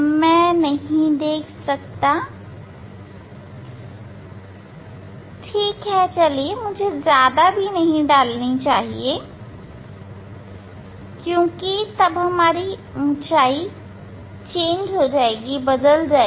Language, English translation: Hindi, I should not give again too much because, then height will change